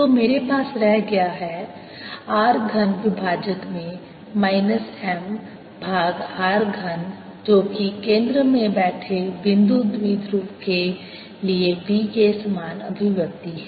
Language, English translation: Hindi, so i am left with r cubed in the denominator minus m over r cube, which is a same expression as b for a point dipole sitting at the centre